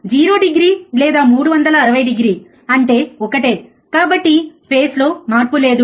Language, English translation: Telugu, You says is 0 degree or 360 degree it is the same thing so, there is no phase shift